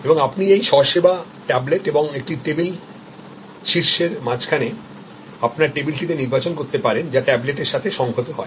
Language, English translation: Bengali, And you can make selection on your table through this self service tablet and a table top, which integrates with the tablet